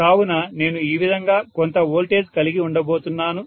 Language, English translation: Telugu, So I am going to have some voltage like this right